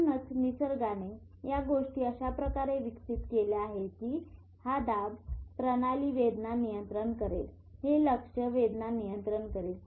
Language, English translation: Marathi, So that is why nature has evolved in such a way that, okay, this system will control the pleasure pain, this will control the attention is pain